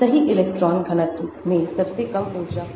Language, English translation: Hindi, the correct electron density will have the lowest energy